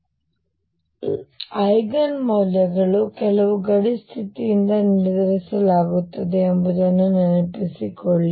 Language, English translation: Kannada, So, recall That Eigen values are determined by some boundary condition